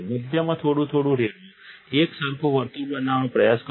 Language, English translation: Gujarati, Pour on a little bit in the center, try to make a uniform circle